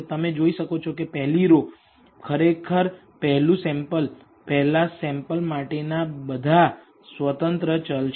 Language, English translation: Gujarati, You can view the first row as actually the sample, first sample, of all independent variables for the first sample